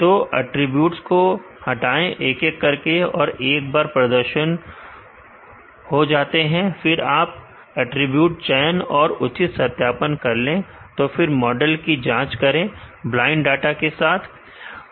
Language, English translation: Hindi, So, remove the attributes one by one and check the performance once, you are done with the attribute selection and proper validation let us test our model, selected model with the blind